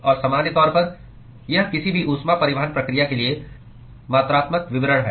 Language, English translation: Hindi, And in general, it is the quantifying description for any heat transport process